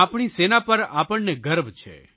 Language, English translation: Gujarati, We are proud of our army